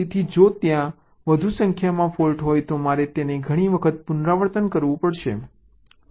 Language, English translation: Gujarati, so if there are more number of faults i have to repeat this multiple times